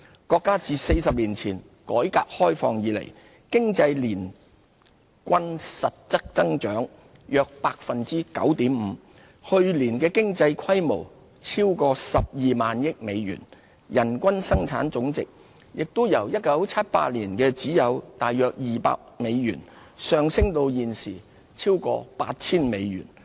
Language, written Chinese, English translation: Cantonese, 國家自40年前改革開放以來，經濟年均實質增長約 9.5%， 去年經濟規模超過 120,000 億美元，人均生產總值亦由1978年只有約200美元，上升至現時超過 8,000 美元。, Since the reform and opening up of our country four decades ago Chinas economy grew by about 9.5 % per annum in real terms on average and has risen to a US12 trillion economy last year . Its per capita GDP also increased from just about US200 in 1978 to over US8,000 today